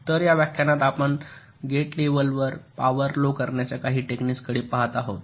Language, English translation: Marathi, so in this lecture we shall be looking at some of the techniques to reduce power at the level of gates, at the gate level